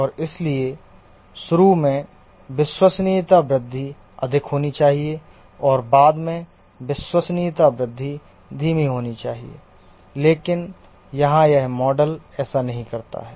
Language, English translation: Hindi, And therefore, initially the reliability growth should be high and later part the reliability growth should be slowed down